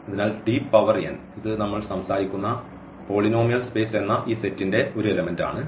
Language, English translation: Malayalam, So, t power n this is one element of this set here the polynomial space which you are talking about